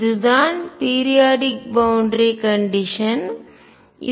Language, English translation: Tamil, This is the periodic boundary condition